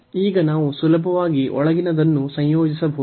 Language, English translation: Kannada, So now, we can easily integrate the inner one